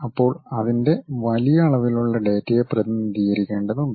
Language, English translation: Malayalam, Then, its enormous amount of data one has to really represent